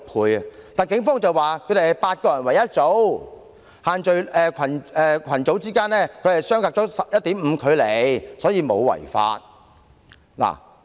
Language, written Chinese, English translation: Cantonese, 可是，警方表示他們是8人一組，群組之間相隔了 1.5 米距離，因此沒有違法。, However according to the Police having divided into groups of eight people and maintained a distance of 1.5 m between them these people had not violated the restrictions